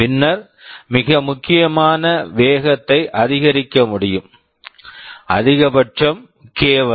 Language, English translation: Tamil, Then it is possible to have very significant speed up, we shall see maximum up to k